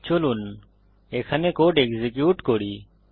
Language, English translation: Bengali, Lets execute the code till here